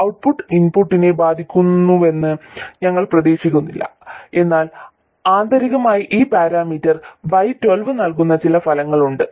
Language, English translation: Malayalam, We don't expect the output to affect the input but internally there is some effect that is given by this parameter Y1 2